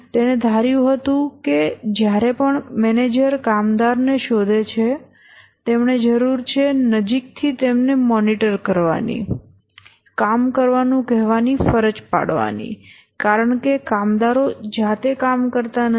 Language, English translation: Gujarati, He assumed that whenever the manager finds the worker, he needs to coerce, monitor closely, ask them to do the work because the workers by themselves don't work